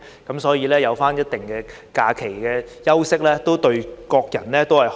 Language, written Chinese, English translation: Cantonese, 因此，有一定的假期休息，對大家都好。, Hence it is good for all to have certain holiday breaks